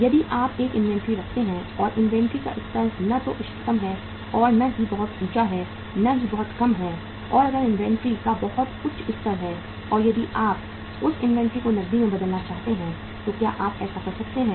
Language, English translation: Hindi, If you keep an inventory and the level of inventory is not optimum nor too high, neither too low and if have the very high level of inventory and if want to convert that inventory into cash, can you do that